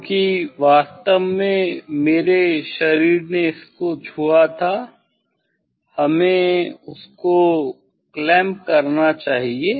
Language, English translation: Hindi, because my body touched the actually one should clamp it; one should clamp it